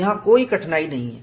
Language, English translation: Hindi, And, what was the difficulty